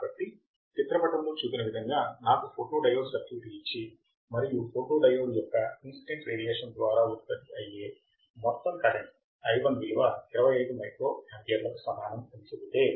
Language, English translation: Telugu, So, again if I am given a photodiode circuit as shown in figure, and if I am told that i1 equals to 25 microampere that is the amount of current that the photodiode generates per milliwatt of incident radiation